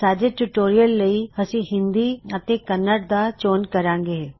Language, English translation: Punjabi, For our tutorial Hindi and Kannada should be selected